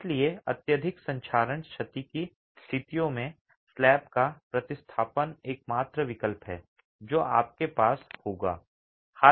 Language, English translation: Hindi, So, in situations of excessive corrosion damage, replacement of the slab is the only option that you would have